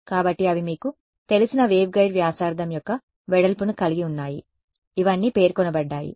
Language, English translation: Telugu, So, they have a you know the width of the waveguide radius all of these have been specified